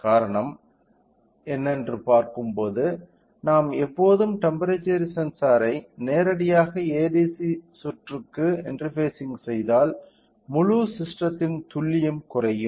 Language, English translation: Tamil, The reason is that when we look into when if we directly interface the temperature sensor to the ADC circuit the accuracy of the complete system will come down